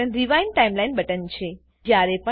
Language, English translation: Gujarati, This button is the Rewind Timeline button